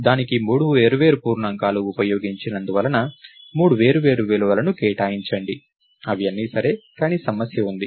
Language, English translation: Telugu, So, as three its separate integers used, assign three separate values which is all ok, but there is a problem